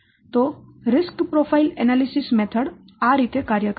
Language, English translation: Gujarati, This is how RICS Profile Analysis method works